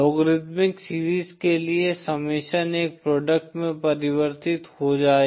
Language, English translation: Hindi, The summation for the logarithmic series will convert to a product